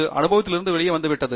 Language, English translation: Tamil, That has come out of experience